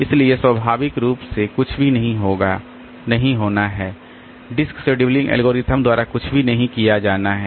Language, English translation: Hindi, So, naturally, there is nothing to be, there is nothing to be done by the disk scheduling algorithm